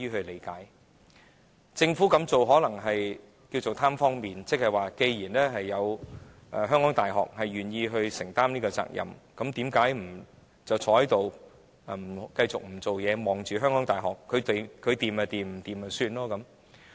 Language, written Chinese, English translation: Cantonese, 可能政府這樣做是"貪方便"，即既然香港大學願意承擔這個責任，那便不再在這方面工作，只倚靠香港大學處理，它成功與否也不會太關心。, Perhaps the Government merely did it for the sake of convenience . That means since the University of Hong Kong HKU is willing to take up this responsibility the Government will just sit on its hands and leave this aspect of work to HKU . No matter HKU is successful or not the Government will not care too much